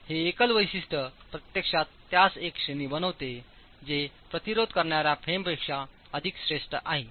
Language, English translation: Marathi, This single feature actually makes it a category that is far superior to moment resisting frames